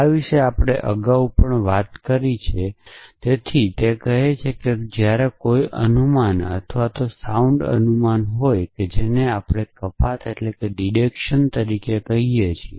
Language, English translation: Gujarati, So, this we have talked about earlier as well, so it is it says that when is an inference or sound inference, which we call as deduction essentially